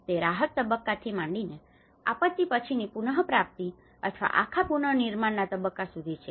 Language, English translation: Gujarati, Is it from the relief stage to the post disaster recovery or the whole reconstruction stage